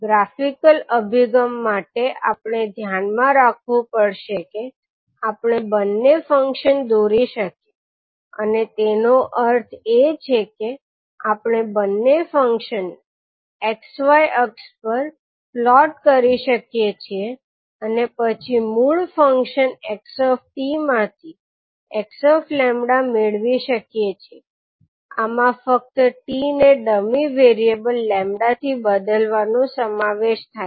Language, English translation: Gujarati, So for the graphical approach we have to keep in mind that we can sketch both of the functions and means we can plot both of the function on x y axis and then get the x lambda from the original function xt, this involves merely replacing t with a dummy variable lambda